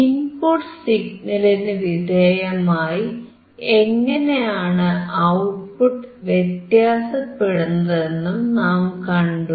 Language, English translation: Malayalam, And we have seen how the output signal was changing with respect to input signal